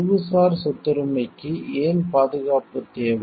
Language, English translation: Tamil, Why intellectual property needs protection